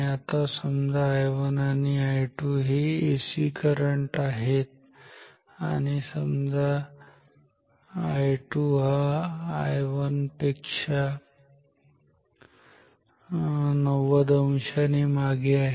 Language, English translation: Marathi, So, I 1 and I 2 are AC I 1, I 2 are ac currents and say I 2 lags I 1 by 90 degree ok